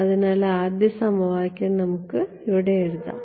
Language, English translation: Malayalam, So, first equation so, let us write down over here